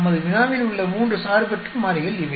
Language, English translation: Tamil, These are the three independent variables in our problem